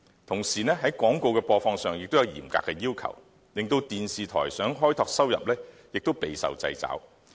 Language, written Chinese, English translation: Cantonese, 同時，在廣告的播放上也有嚴格的要求，令電視台想開拓收入亦備受掣肘。, Moreover the broadcast of advertisements is also strictly controlled and hence television stations are under constraints in generating additional revenue